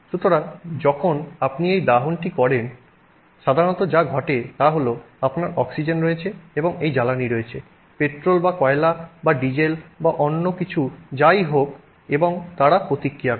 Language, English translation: Bengali, So, when you do this combustion, what is typically happening is that you have oxygen, you have this, you know fuel, petrol or coal or diesel or something and they react